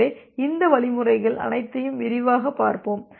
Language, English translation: Tamil, So, we will look all these mechanism in details